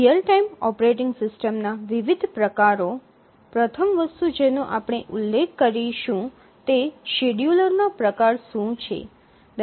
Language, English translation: Gujarati, As we will look at different real time operating system, the first thing we will mention is that what is the type of the scheduler